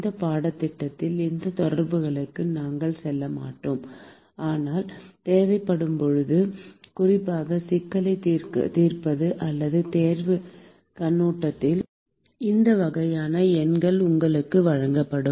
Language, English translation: Tamil, We will not go into those correlations in this course, but as and when it is required, particularly from the problem solving or exam point of view, these kinds of numbers will be provided to you